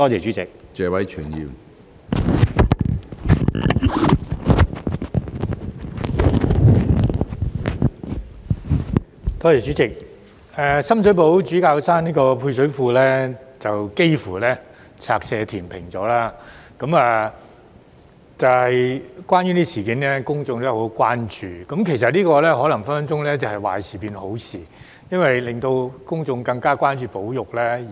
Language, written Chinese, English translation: Cantonese, 主席，深水埗主教山配水庫幾乎被拆卸填平，有關事件引起公眾極度關注，但這可能是壞事變為好事，因為公眾因而更關注保育。, President the service reservoir at Bishop Hill Sham Shui Po was almost demolished . The incident has aroused great public concern . But this may turn out to be something good because members of the public have thus become more conscious about conservation